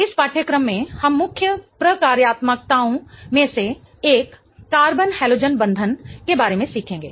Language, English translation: Hindi, One of the main functionalities that we will learn in this course is about a carbon halogen bond